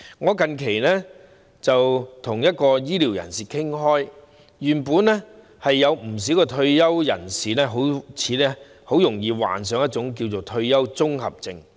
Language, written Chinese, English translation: Cantonese, 我最近跟一位醫療界人士傾談，知悉原來退休人士很容易患上退休綜合症。, I have recently talked to a person from the health care sector and learnt that retirees are actually prone to the retirement syndrome